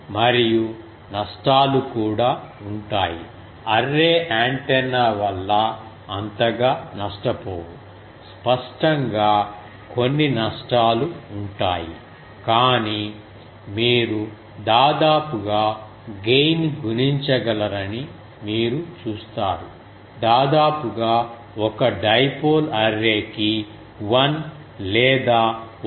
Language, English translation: Telugu, And also losses due to array antenna there is not much loss so; obviously, there will be some losses, but you see you can make almost the gain was multiplied, almost I can say how much that typically the for an dipole array to it was 1 or 1